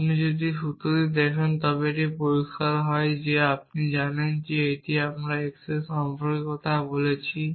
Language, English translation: Bengali, It is clear if you look at this formula is that, you know here we are talking about x here we are talking about